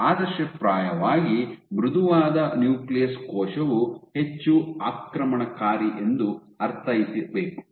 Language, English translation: Kannada, So, ideally a soft nucleus should mean that the cell is more invasive ok